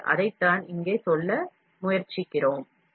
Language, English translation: Tamil, So, that is what we are trying to tell here